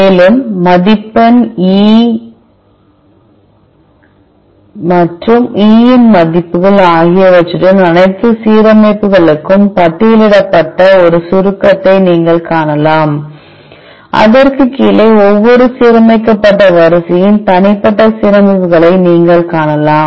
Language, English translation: Tamil, Further, you could see a summary where all the alignments along with the score and the E values are listed, below which you will find a individual alignments of each aligned sequence